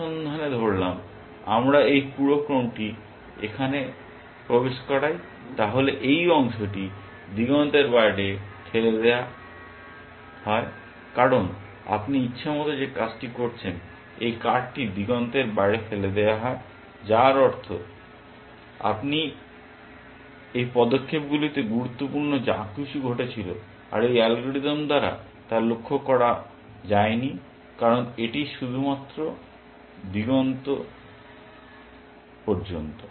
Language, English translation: Bengali, In search supposing, we insert this whole sequence here then, this part gets pushed out of the horizon because of this arbitrary move that you are doing, this cart gets pushed out of the horizon which means that, something that is important which was happening in these moves is no longer noticed by this algorithm because it is search is only till the horizon